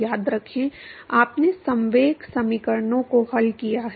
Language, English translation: Hindi, Remember, you solved the momentum equations